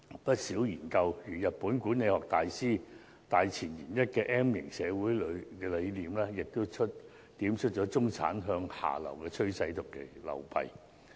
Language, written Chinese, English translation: Cantonese, 不少研究如日本管理學大師大前研一的 M 型社會理論，亦點出中產向下流的趨勢及其流弊。, Many studies such as the one discussing M - shaped society by the Japanese management theorist Kenichi OHMAE have pointed out the downward trend of the middle class and the negative impacts of this trend